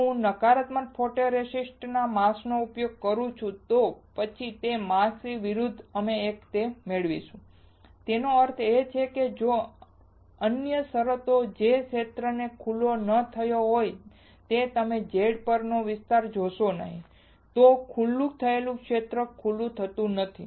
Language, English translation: Gujarati, If I use a mask with a negative photoresist then the opposite of that of the mask we will get it; that means, here if in another terms the area which is not exposed you see the area on the Z is not exposed that on exposed area gets stronger